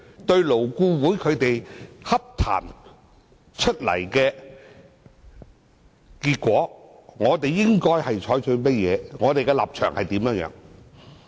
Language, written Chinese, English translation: Cantonese, 對於勞顧會洽談所得的結果，我們應採取何種態度和立場？, What kind of attitude and stance should we adopt towards the discussion outcomes of LAB?